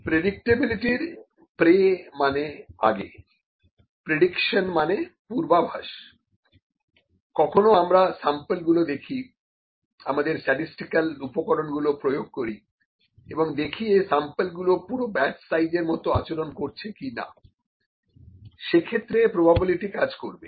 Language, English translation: Bengali, Predictability, predict, predict pre means before predictable predication means, sometimes forecasting, sometimes we just look at the sample, apply our statistical tools and look at whether the sample behaves like the whole population or not, for in that case probability would work